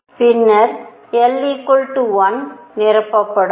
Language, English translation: Tamil, And then l equals 1, will be filled